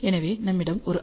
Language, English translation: Tamil, So, r is around 0